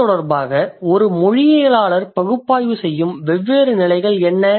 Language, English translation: Tamil, And in this connection what are the different levels that our linguist analyzes